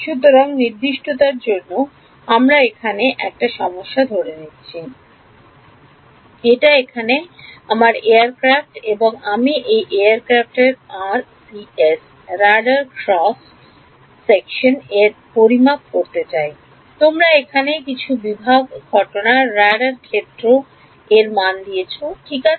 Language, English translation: Bengali, So, what do you think could be step number 1 ok, so, for definiteness let us assume problem this is my aircraft over here, and I want to calculate RCS: Radar Cross Section of this aircraft you are given some incident radar field over here ok